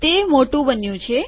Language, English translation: Gujarati, It has become bigger